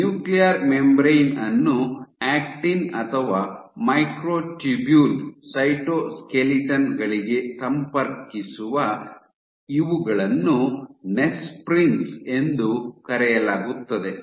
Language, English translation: Kannada, Which connect the nuclear membrane to either the actin or the microtubule cytoskeletons are called Nesprins